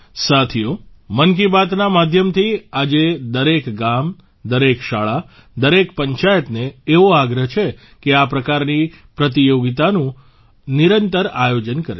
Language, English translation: Gujarati, Friends, through 'Mann Ki Baat', today I request every village, every school, everypanchayat to organize such competitions regularly